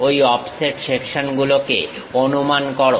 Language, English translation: Bengali, Guess those offset sections